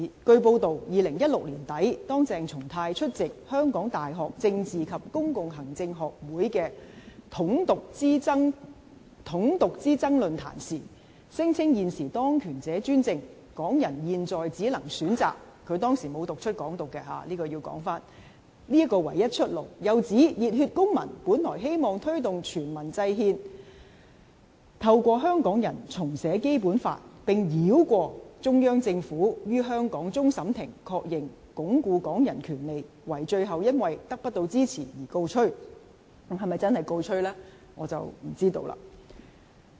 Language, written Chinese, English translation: Cantonese, 據報道 ，2016 年年底，當鄭松泰出席香港大學政治及公共行政學會的"統獨之爭論壇"時，聲稱現時當權者專政，港人現在只能選擇——他當時沒有讀出"港獨"——這個唯一出路，又指熱血公民本來希望推動全民制憲，透過香港人重寫《基本法》，並繞過中央政府於香港終審法院確認，鞏固港人權力，惟最後因得不到支持而告吹。, It was reported that when attending the Struggle between unification and independence forum organized by the Politics and Public Administration Association of the University of Hong Kong at the end of 2016 CHENG Chung - tai claimed that as those in power now are ruling in a dictatorial manner Hong Kong people can only choose―he did not read out Hong Kong independence at the time―such a way out . He also suggested that the Civic Passion originally wished to promote devising the constitution by all people and rewriting of the Basic Law by Hong Kong people which would be endorsed by the Court of Final Appeal of Hong Kong bypassing the Central Authorities to entrench the power of Hong Kong people . However such a plan fell through due to a lack of support